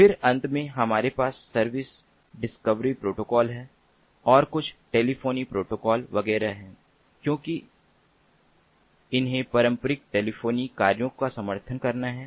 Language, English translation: Hindi, then, finally, we have the service discovery protocol, and there are some telephony protocols, etcetera, etcetera, because which has to support the traditional telephony functions